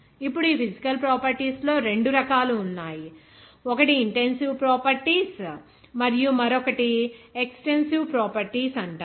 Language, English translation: Telugu, Now, there are 2 types of these physical properties, one is intensive properties and another is called extensive properties